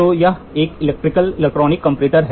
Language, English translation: Hindi, So, this is how an Electric Electronic comparator looks like